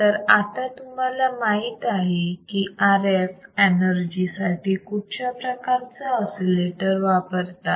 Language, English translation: Marathi, So, now, you know, that what kind of oscillators can be used for RF energy